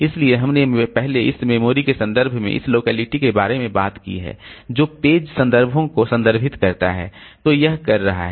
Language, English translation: Hindi, So we have previously we have talked about this locality in terms of memory references, the page references that it is doing